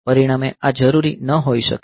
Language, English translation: Gujarati, So, as a result this may not be necessary